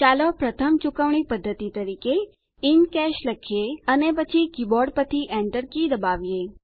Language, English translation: Gujarati, Lets type the first mode of payment as In Cash, and then press the Enter key from the keyboard